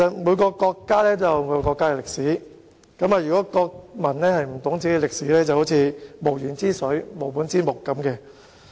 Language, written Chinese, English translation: Cantonese, 每個國家均有其歷史，國民若不懂本國歷史，便猶如無源之水，無本之木。, Every country has its own history . If the people of a country do not understand the countrys history they are like water without a source or trees without roots